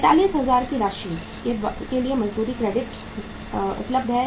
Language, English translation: Hindi, Wage credit is available for the amount of 45,000